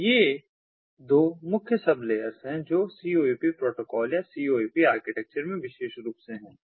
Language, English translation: Hindi, so these are the two main sub layers that are there in the coap protocol and the coap architecture more specifically